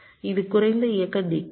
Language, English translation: Tamil, this is an enable, less decoder